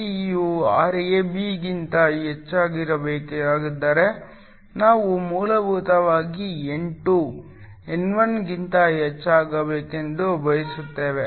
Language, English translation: Kannada, In order for Rst to be greater than Rab we essentially want N2 to be greater than N1